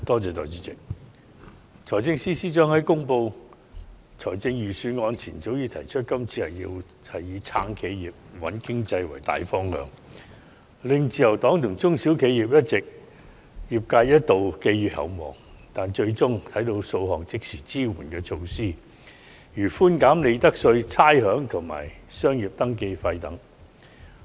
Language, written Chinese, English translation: Cantonese, 代理主席，財政司司長在公布財政預算案前，提出今年會以"撐企業"、"穩經濟"為大方向，令自由黨和中小型企業一度寄予厚望，但我們最終只看到數項即時支援措施，例如寬減利得稅、差餉和商業登記費。, Deputy President the Financial Secretary has posed high hopes among the Liberal Party and small and medium - sized enterprises SMEs when he announced before the delivery of the Budget that the general directions of this years Budget would be to support enterprises and stabilize the economy . However we end up receiving several immediate support measures only such as reductions in profits tax rates and business registration fees